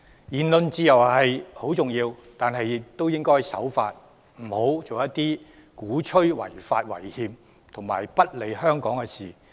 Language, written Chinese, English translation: Cantonese, 言論自由很重要，但學生亦應該守法，不應做出鼓吹違法違憲和不利香港的事情。, While freedom of speech is vital students should abide by the law and should not advocate anything unlawful and unconstitutional as well as hurting the interests of Hong Kong